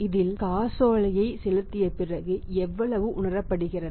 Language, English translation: Tamil, After paying this check how much is realising